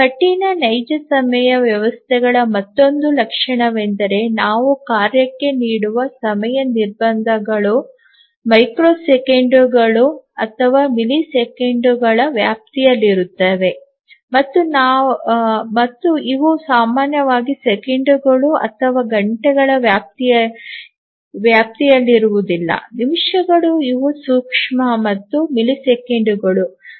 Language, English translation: Kannada, And the another characteristic of a hard real time systems is that the time restrictions that we give to the task are in the range of microseconds or milliseconds, these are not normally in the range of seconds or hours, minutes these are micro and milliseconds